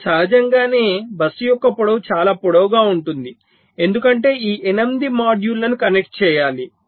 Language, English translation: Telugu, now, naturally, the length of the bus will be long enough because it has to connect all this eight modules